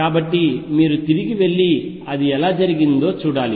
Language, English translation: Telugu, So, you may have to go back and see how it is done